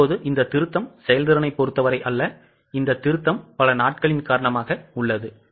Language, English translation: Tamil, Now, this revision is not with respect to efficiency, this revision is because of number of days